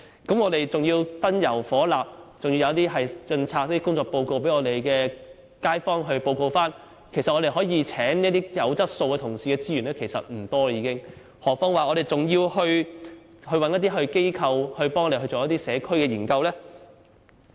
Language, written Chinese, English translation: Cantonese, 另外還有燈油火蠟的開支，又要印刷工作報告，向街坊匯報，令用以聘請有質素的同事的資源所餘無幾，更何況我們還要委託機構協助進行社區研究呢？, There are also the costs for miscellaneous items utilities and printing of work reports for residents . So we have limited resources in hiring staff of calibre . On top of all this we have to commission various organizations to conduct community studies